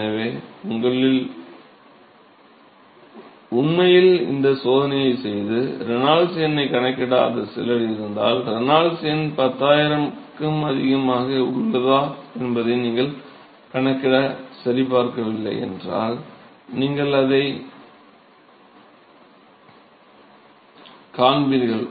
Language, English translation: Tamil, So, if you actually have some of you who have actually done this experiment and have not calculated the Reynolds number, you should have, if you have not calculated and checked, whether the Renault number is greater than 10000, you will see that there will be a variation in your predictions